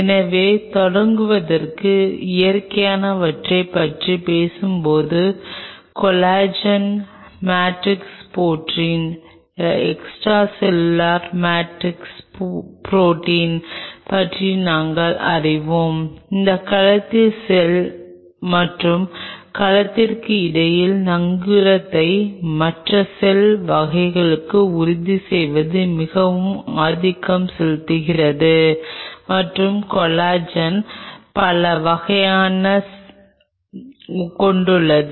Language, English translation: Tamil, So, talking about the natural ones to start off with we are aware about Collagen matrix protein extracellular matrix protein which is very dominant in ensuring the anchorage between cell to cell and cell to other cell type and collagen has several types